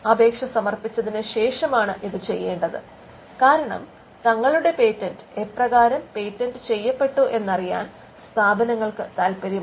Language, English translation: Malayalam, This is after the filing of the application because; institute is always interested in knowing how its patent have been commercialized